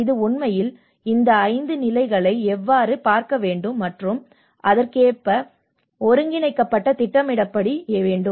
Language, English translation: Tamil, And this has to actually look at how these 5 stages and has to be coordinated and planned accordingly